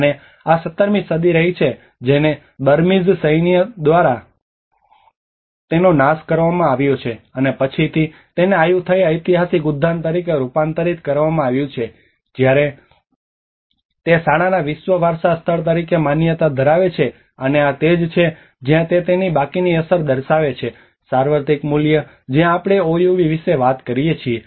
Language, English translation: Gujarati, And this has been 17th century it has been destroyed by the Burmese military and then later on it has been converted as a Ayutthaya historical park when it has been recognized as in a school world heritage site, and this is where it has reflected with its outstanding universal value where we talk about OUV